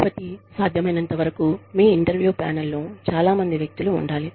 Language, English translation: Telugu, So, as far as possible, have several people on your interview panel